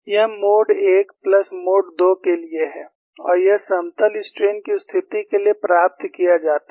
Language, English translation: Hindi, This is for mode 1 plus mode 2 and this is obtained for plane strain situation